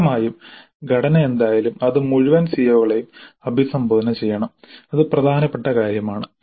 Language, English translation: Malayalam, Obviously whatever be the structure it must address all the COs, that is important thing